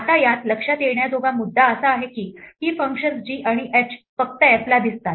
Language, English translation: Marathi, Now, the point to note in this is that these functions g and h are only visible to f